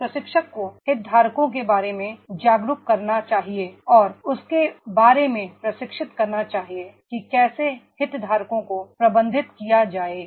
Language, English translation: Hindi, A trainer that he should make awareness about the stakeholders and should train about that is the how stakeholders are to be managed